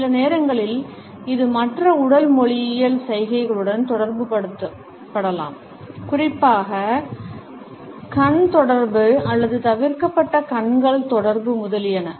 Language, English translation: Tamil, Sometimes, it can be associated with other body linguistic gestures, particularly the absence of eye contact or averted eyes, etcetera